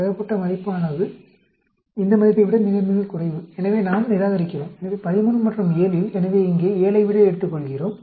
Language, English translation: Tamil, Observed value is much less than this value, so, we reject … So, out of the 13 and 7… So, we take the 7 here